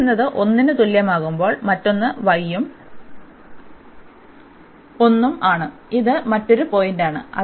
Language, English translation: Malayalam, And the other one when x is equal to 1, so y is also 1 so, this is the another point